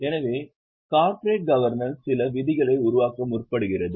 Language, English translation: Tamil, So, corporate governance seeks to form certain rules